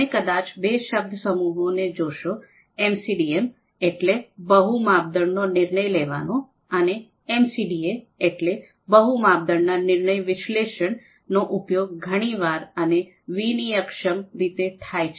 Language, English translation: Gujarati, Now you might also see that often these two terms MCDM, multi criteria decision making, and MCDA, multi criteria decision analysis, these terms are used you know quite often they are used interchangeably